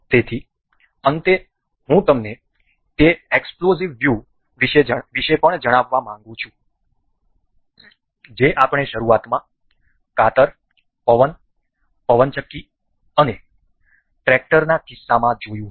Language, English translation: Gujarati, So, in the end, I would like to also tell you about explode view that we initially saw in the case of scissors, the wind the windmill and the tractor